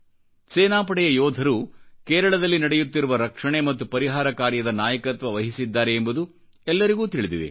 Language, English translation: Kannada, We know that jawans of our armed forces are the vanguards of rescue & relief operations in Kerala